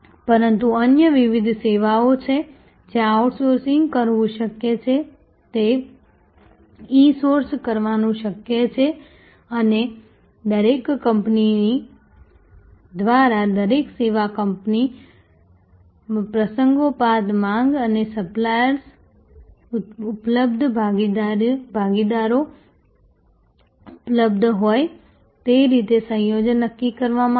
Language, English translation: Gujarati, But, there are various other services, where it is possible to outsource it is possible to insource and a combination will be decided by each company each service company as the occasions demand and as kind of suppliers available partners available